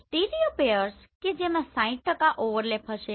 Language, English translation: Gujarati, So stereopairs are like 60% overlap will be there